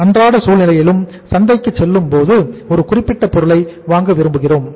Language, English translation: Tamil, In our day to day situation also when we go to the market and we want to buy a particular product